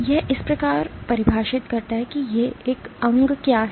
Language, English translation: Hindi, It kind of defines what an organ is